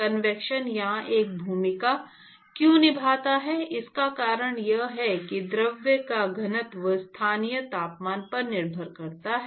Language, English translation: Hindi, The reason why convection plays a role here is that, the density of the fluid depends upon the local temperature